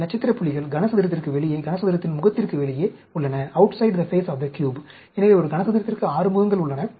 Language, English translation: Tamil, These star points are outside the, the cube, outside the face of the cube; so you will have 6 faces for a cube